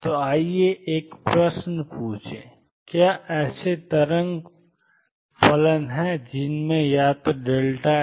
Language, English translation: Hindi, So, let us ask a question, are there wave functions that have either delta x is equal to 0